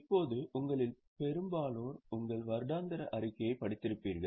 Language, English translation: Tamil, Now most of you would have read your annual report